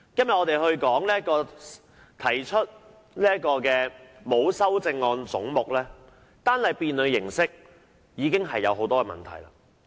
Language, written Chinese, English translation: Cantonese, 本會今天就沒有修正案的總目進行合併辯論，單單辯論形式已經出現了很多問題。, Today a joint debate is being conducted in this Council on the heads to which no amendments are proposed . However I find the manner of conducting this debate very problematic